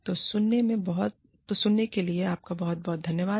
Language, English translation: Hindi, So, thank you, very much, for listening